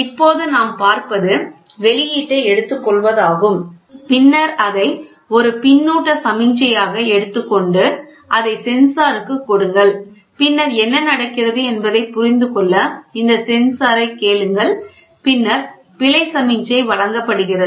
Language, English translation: Tamil, Now, what we see is we take the output and then we take it as a feedback signal give it to the sensor and then ask this sensor to understand what is going on and that is error signal is given